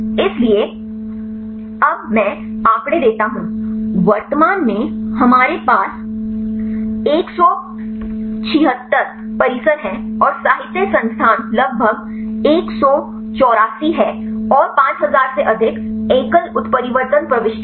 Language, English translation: Hindi, So, now I give the statistics currently we have 176 complexes and the literature resource is about 184 and there are more than 5000 single mutation entries